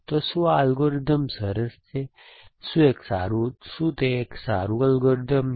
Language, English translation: Gujarati, So, is this algorithm, is it nice, is it a good algorithm